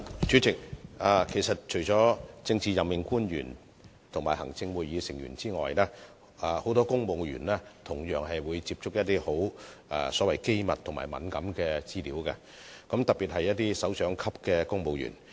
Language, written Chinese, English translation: Cantonese, 主席，除了政治任命官員和行政會議成員外，其實很多公務員同樣會接觸機密和敏感資料，特別是首長級公務員。, President apart from PAOs and ExCo Members many civil servants directorate civil servants in particular also have access to classified and sensitive information . The Secretary used to be a civil servant as well